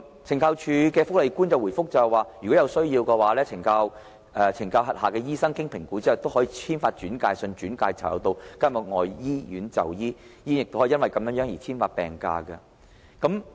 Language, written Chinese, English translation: Cantonese, 懲教署福利官回覆說，如果有需要，懲教署轄下的醫生經評估後可以簽發轉介信，轉介囚友到監獄外的醫院就醫，醫院也可以就此簽發病假。, On this a CSD welfare officer replied that given the necessity and after an assessment CSD medical officers can issue referral letters allowing inmates to seek medical treatment in hospital outside of prisons . The hospital in turn can issue sick leave certificates to them